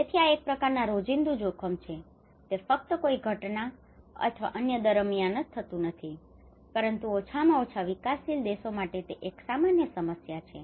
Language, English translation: Gujarati, So this is a kind of everyday risk it is not just only happening during an event or anything, but it is a common problem for the developing at least the developing countries